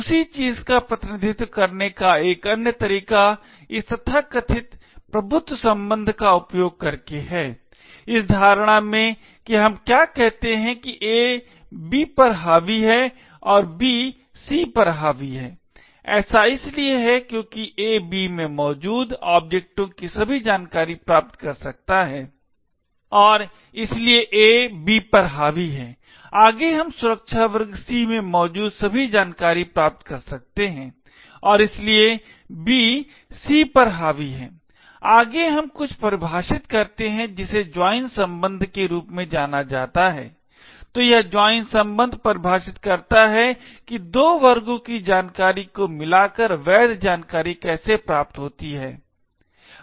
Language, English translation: Hindi, Another way of representing the same thing is by using this so called dominance relation, in this notation what we say is that A dominates B and B dominates C, this is because A can obtain all the information of objects present in B and therefore A dominates B, further we can obtain all the information present in security class C and therefore B dominates C, further we also define something known as the join relation, so this join relation defines how legal information obtained by combining information from two classes